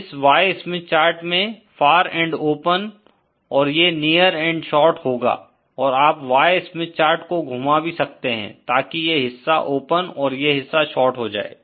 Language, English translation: Hindi, So, once again for the Z Smith chart we saw that the far end is short, near end is open and for the Y Smith chart far end is open and near end is short